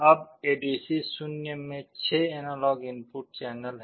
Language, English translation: Hindi, Now, in ADC0 there are 6 analog input channels